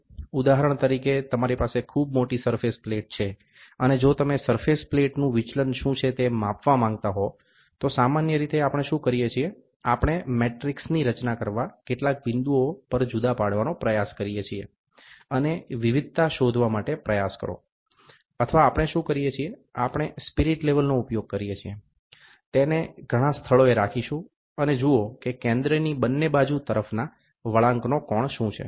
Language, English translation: Gujarati, For example, you have a very large surface plate, and if you want to measure what is the deviation of a surface plate, generally what we do is either we try to dilate at several points, form a matrix, and try to find out the variation, or what we do is, we use spirit level, keep it at several locations, and see what is the inclination of angle from the centre towards both sides